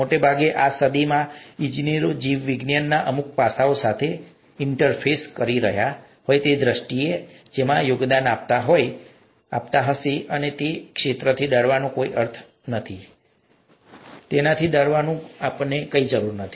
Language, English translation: Gujarati, Most likely, engineers in this century may be interfacing with some aspect of biology in terms of the field that they’d be contributing to, and there’s no point in fearing that field and it's nothing to fear about